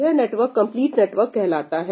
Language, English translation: Hindi, This particular network is called a complete network